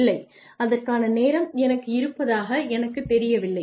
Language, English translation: Tamil, No, I do not think I have the time for that, anyway